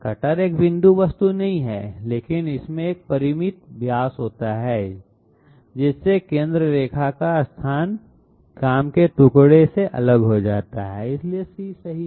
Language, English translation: Hindi, The cutter is not a point object, but it has a finite diameter so that makes the centre line locus move away from the work piece Contour, so C is correct